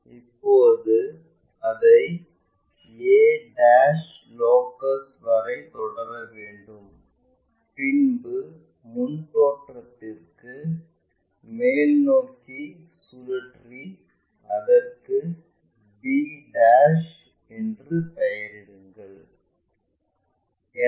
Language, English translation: Tamil, Now, we have to continue it to locus of a ' up to all the way there and rotate that upward up to the front view and name it b '